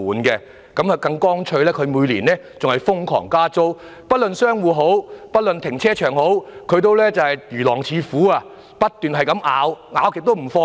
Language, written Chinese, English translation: Cantonese, 領展更乾脆地每年瘋狂調升租金，不論是商戶或停車場，領展也如狼似虎般，不斷地咬，完全不放鬆。, Furthermore each year Link REIT takes the simple and easy step of imposing outrageous increases in rent and be it commercial tenants or car parks Link REIT keeps biting like a wolf or tiger without let - up